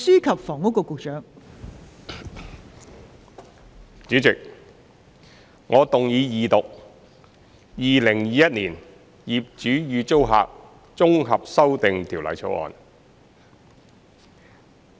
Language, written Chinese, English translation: Cantonese, 代理主席，我謹動議二讀《2021年業主與租客條例草案》。, Deputy President I move the Second Reading of the Landlord and Tenant Amendment Bill 2021 the Bill